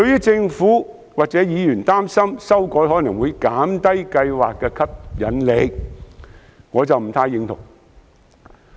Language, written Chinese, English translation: Cantonese, 政府及部分議員擔心，這樣修改可能會減低計劃的吸引力，我對此不太認同。, Why does the Government not take my advice? . The Government as well as some other Members may worry that such extension will make the scheme less attractive but I do not think so